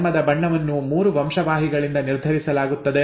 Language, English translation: Kannada, The skin colour is determined by 3 genes